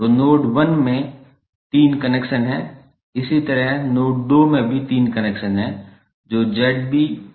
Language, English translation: Hindi, So, node 1 has three connections, similarly node 2 also have three connections that is Z B, Z E, Z C